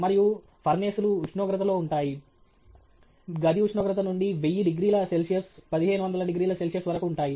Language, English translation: Telugu, And Furnaces, you know, could range in temperature, going from room temperature to something like 1000 degree C, 1500 degree C